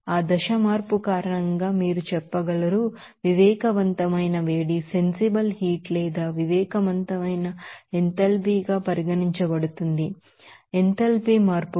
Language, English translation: Telugu, That will be regarded as sensible heat or sensible enthalpy you can say and also enthalpy change because of that phase change